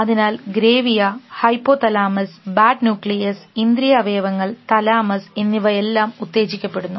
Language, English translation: Malayalam, So, gravia, hypo thalamus, bad nucleus, sense organ, thalamus, everything is got activated